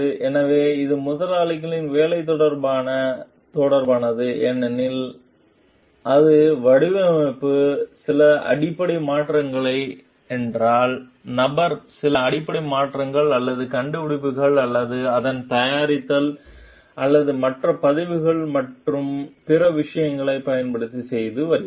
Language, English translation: Tamil, So, because it is related to the employers work, but if it is some fundamental changes in the design the person is making some fundamental changes in the or inventions or its making or using other records and other things